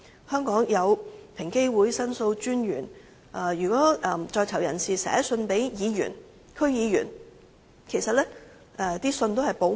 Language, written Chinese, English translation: Cantonese, 香港有平等機會委員會、申訴專員公署，而如果在囚人士寫信給議員和區議員，信件內容也是會保密的。, In Hong Kong we have the Equal Opportunities Commission EOC and the Office of The Ombudsman . If inmates want to write letters to Members of Legislative Council and District Councils the contents of such letters would be kept confidential